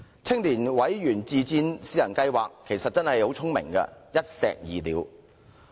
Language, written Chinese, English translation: Cantonese, 青年委員自薦私人計劃是個很聰明的一石二鳥方案。, The pilot scheme is a very clever idea of killing two birds with one stone